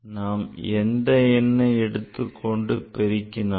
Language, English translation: Tamil, So, whatever the numbers you are multiplying